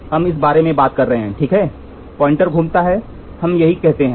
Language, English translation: Hindi, So, we are talking about this, right this rotates the pointer rotates that is what we say here